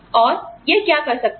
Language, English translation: Hindi, And, what it could do